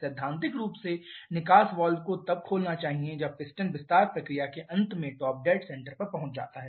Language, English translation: Hindi, Theoretically the exhaust valve should open when the piston reaches the top dead center at the end of expansion process